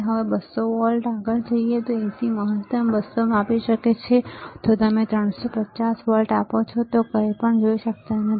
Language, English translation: Gujarati, Now, we go further 200 volts, AC maximum it can measure 200, if you give 350 volts, you cannot see anything